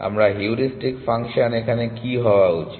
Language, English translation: Bengali, What should my heuristic function do